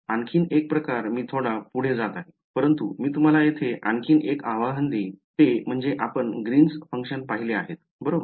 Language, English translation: Marathi, Another sort of I am getting ahead of myself, but I will tell you one other challenge that will happen over here is that your we have seen Green’s functions right